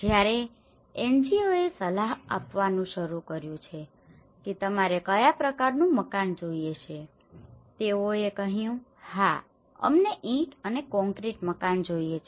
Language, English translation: Gujarati, When the NGOs have started consulting what type of house do you want they said yes we want a brick and concrete house